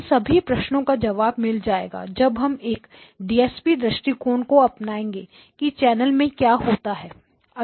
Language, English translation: Hindi, All of those questions get answered once you have a DSP perspective on what is happening in the channel, okay